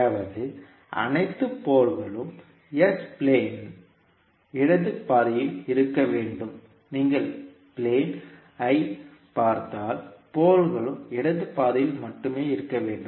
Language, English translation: Tamil, That means that all poles must lie in the left half of the s plane if you see the s plane the poles must lie in the left half only